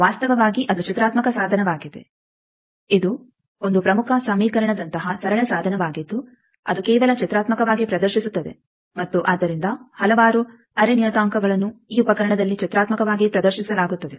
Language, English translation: Kannada, Actually, it is a graphical tool, it is a very simple tool like one important equation it is just displaying graphically and so several array parameters are graphically displayed in this tool